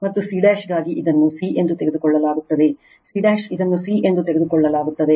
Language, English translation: Kannada, And for c dash, it is taken c this c dash it is taken c right